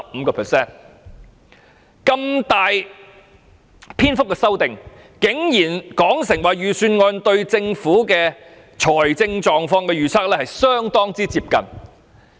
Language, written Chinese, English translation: Cantonese, 對於如此大幅的修訂，他竟然說道預算案對政府財政狀況的預測相當接近。, Despite such a significant revision he has nonetheless asserted that the Budgets projection is very close to the Governments financial position